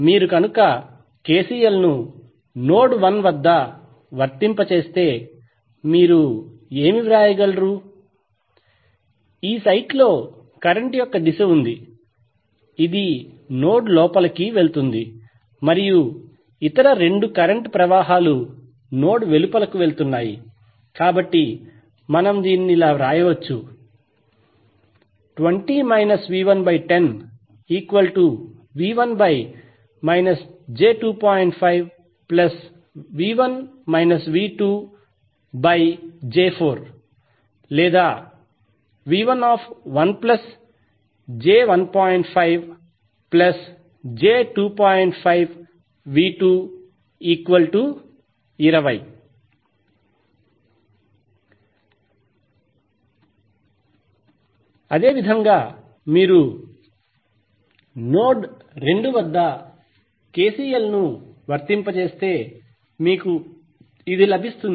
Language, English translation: Telugu, So if you apply KCL and node 1, what you can write, the current direction is in this site which is going inside the node and other 2 currents are going outside the node So we can write that 20 minus that is volters